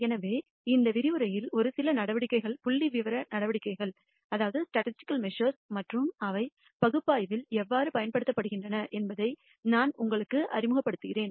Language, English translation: Tamil, So, in this lecture I will introduce you to a few measures statistical measures and how they are used in analysis